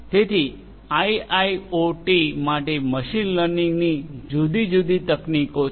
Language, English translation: Gujarati, So, for IIoT there are different machine learning techniques in place